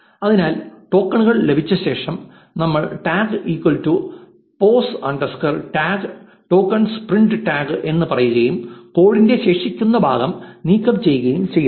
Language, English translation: Malayalam, So, after we have obtained the tokens, we say tags is equal to pos underscore tag, tokens, print tags and remove the remaining part of the code